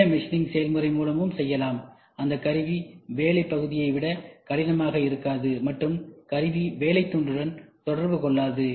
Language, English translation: Tamil, And you can also try the non conventional machining process, where tool is not is not harder than the work piece, and tool is not in contact with the work piece